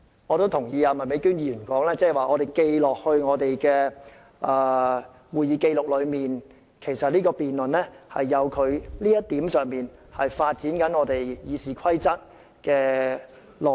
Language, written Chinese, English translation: Cantonese, 我認同麥美娟議員的說法指當我們今次的辯論列入會議紀錄後，其實就這一點而言，正正能發展《議事規則》的內容。, I agree with Miss Alice MAK that the debate this time around will be included in the Hansard and this is rightly the way it facilitates the development of the content of RoP